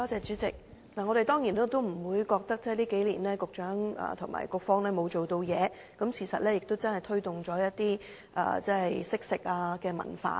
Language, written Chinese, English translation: Cantonese, 主席，我當然不會認為局長和政策局這幾年沒有做事，事實上政府真正推動了惜食的文化。, President I certainly will not think that the Secretary and the Bureau have done nothing over the past several years . In fact the Government has indeed promoted a culture of cherishing food